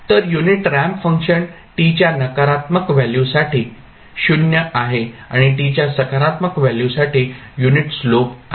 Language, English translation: Marathi, So, unit ramp function is 0 for negative values of t and has a unit slope for positive value of t